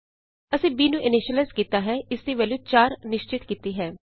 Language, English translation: Punjabi, We have initialized b, by assigning a value of 4 to it